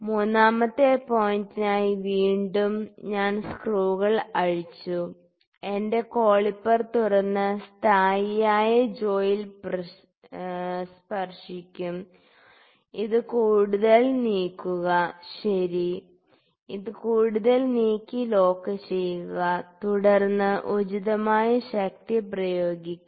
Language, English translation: Malayalam, For the third point again I will loosen the screws open my calliper and touch the this is kind of a fixed jaw now touch the fixed jaw take it this further, ok, take this further then lock this, then apply appropriate force then lock this screw now the screws are locked